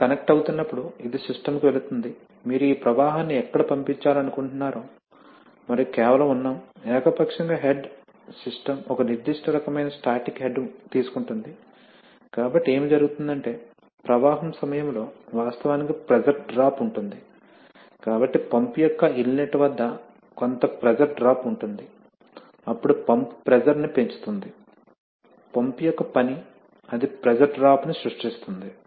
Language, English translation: Telugu, So you see that, when you when you are connecting, so this goes to the system, wherever you want to send this flow and we are just, you know arbitrarily assuming that the head of the, that the system takes a particular kind of static head, so what happens is that during flow there are actually pressure drops, so there is some pressure drop at the inlet of the pump then the pump raises the pressure that is the job of the pump it creates a pressure head